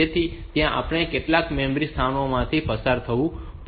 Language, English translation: Gujarati, So, there we have to pass through some memory locations